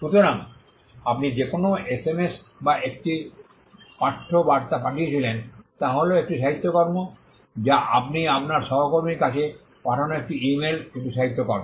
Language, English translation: Bengali, So, an SMS or a text message that you sent is potentially a literary work an email you sent to your colleague is a literary work